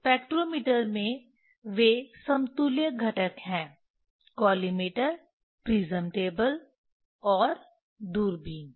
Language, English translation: Hindi, in spectrometer they are equivalent components is collimator, prism table and telescope